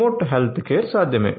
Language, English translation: Telugu, So, remote healthcare is possible